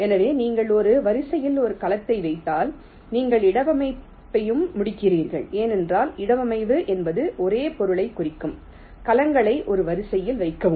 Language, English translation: Tamil, so once you put a cell in one of the rows, well, you are as well completing the placement also, because placement will also mean the same thing: placing the cells in one of the rows